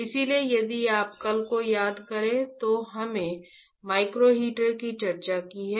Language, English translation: Hindi, So, if you recall yesterday, what we discussed was micro heaters, right